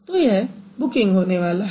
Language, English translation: Hindi, So that is going to be booking